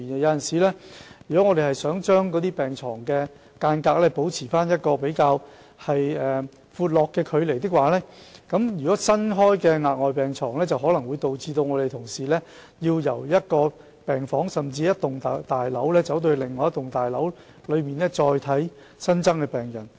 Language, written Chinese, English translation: Cantonese, 院方確實希望把病床保持一個比較寬闊的距離，但在新增病床時，便可能令同事要由一間病房，甚至是一幢大樓走到另一幢大樓來照顧新增的病人。, The hospital authorities truly hope to maintain a relatively ample distance between beds yet this may cause colleagues to go from one ward to another or even from one building to another to look after additional patients when beds are added